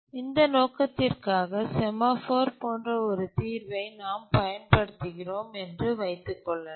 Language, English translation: Tamil, And for this purpose, let's say we use a solution like a semaphore